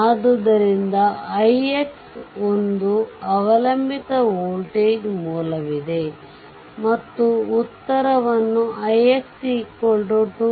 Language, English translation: Kannada, So, i x is a dependent voltage source is there; and answer is given i x is equal to 2